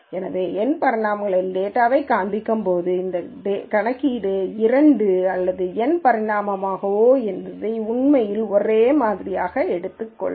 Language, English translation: Tamil, So, while visualizing data in N dimensions hard this calculation whether it is two or N dimension, it is actually just the same